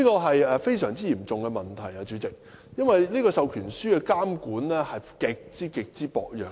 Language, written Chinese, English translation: Cantonese, 主席，這是個非常嚴重的問題，因為授權書的監管極為薄弱。, President this is a very serious problem because the regulation on the proxy form is extremely weak